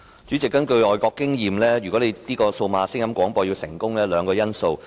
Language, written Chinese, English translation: Cantonese, 主席，根據外國的經驗，數碼廣播服務如要成功，需具備兩項因素。, President according to overseas experience two conditions must be met before any DAB service can succeed